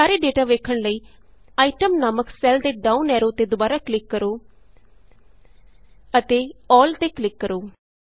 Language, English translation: Punjabi, In order to view all the data, again click on the downward arrow on the cell named Item and click on All